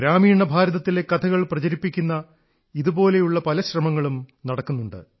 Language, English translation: Malayalam, There are many endeavours that are popularising stories from rural India